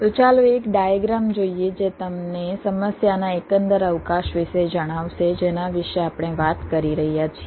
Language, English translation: Gujarati, ok, so let's look at a diagram which will, ah, just apprise you about the overall scope of the problem that we are talking about